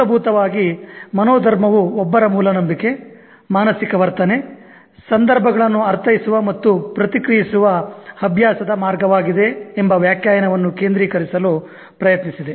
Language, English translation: Kannada, Basically I tried to focus on the definition that mindset is one's basic belief, mental attitude, habitual way of interpreting and responding to situations